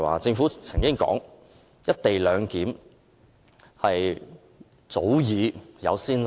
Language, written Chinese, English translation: Cantonese, 政府曾經指出"一地兩檢"安排早有先例。, The Government claims that the implementation of co - location clearance is not unprecedented